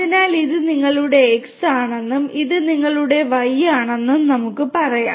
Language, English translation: Malayalam, So and let us say that this is your X and this is your Y